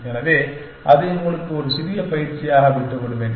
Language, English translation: Tamil, So, I will leave that as a small exercise for you